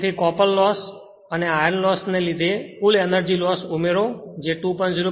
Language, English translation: Gujarati, So, due to copper loss and iron loss, you add you that is 2